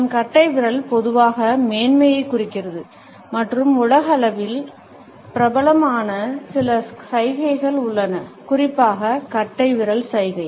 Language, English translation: Tamil, Our thumbs normally indicates superiority and there are certain gestures which are universally popular, particularly the thumbs up gesture